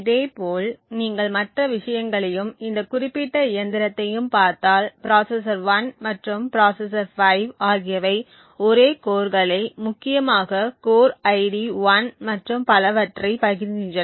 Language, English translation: Tamil, Similarly, if you go through the other things and this particular machine you see that processor 1 and processor 5 are sharing the same core essentially the core ID 1 and so on